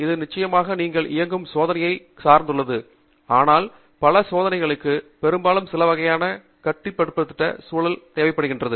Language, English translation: Tamil, Of course it depends on what experiments you are running, but many experiments will often require a some kind of a controlled atmosphere